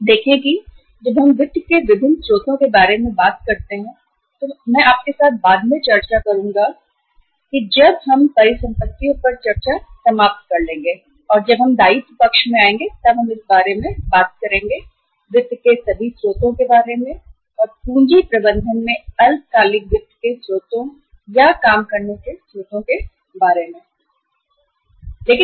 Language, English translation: Hindi, See when we talk about the different sources of the finance I will discuss with you later on after we finish the discussion on uh all the assets when we will come to the liability side then we will uh talk about all the sources of finance, sources of the short term finance or sources of the working capital management